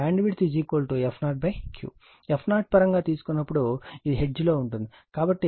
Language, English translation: Telugu, When you take in terms of f 0, it is in hertz, so 175 into 10 to the power 3 divided by Q is equal to 50, so 3